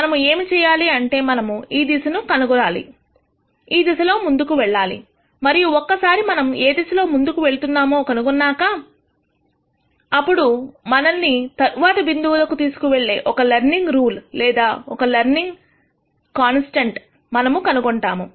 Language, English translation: Telugu, What we need to do is we need to find a direction in which to move and once we find a direction in which we would like to move, then we will find out a learning rule or a learning constant which will take us to the next point